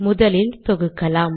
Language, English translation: Tamil, Let me compile